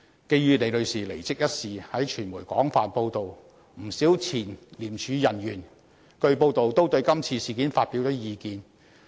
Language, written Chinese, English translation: Cantonese, 基於李女士離職一事經傳媒廣泛報道，不少前廉署人員據報都對今次事件發表了意見。, Owing to the extensive media coverage of Ms LIs departure many ex - officials of ICAC have reportedly expressed their views on this incident